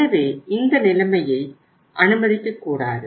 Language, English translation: Tamil, So we should not allow the situation